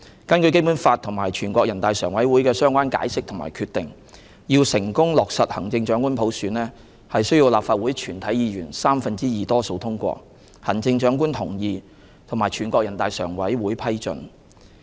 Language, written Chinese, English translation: Cantonese, 根據《基本法》及全國人大常委會的相關解釋和決定，要成功落實行政長官普選，需要立法會全體議員三分之二多數通過、行政長官同意，以及全國人大常委會批准。, In accordance with the Basic Law and the relevant interpretations and decisions of the Standing Committee of the National Peoples Congress NPCSC the successful implementation of the selection of the Chief Executive by universal suffrage requires the endorsement of a two - thirds majority of all Members of the Legislative Council the consent of the Chief Executive and the approval of NPCSC